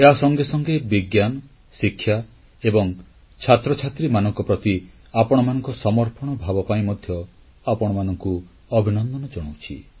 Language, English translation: Odia, I also salute your sense of commitment towards science, education and students